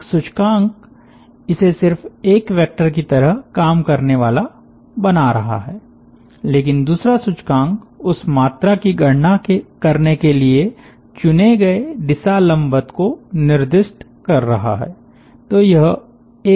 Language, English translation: Hindi, one index is just like making it act like a vector, but other index is specifying the direction normal chosen to calculate that quantity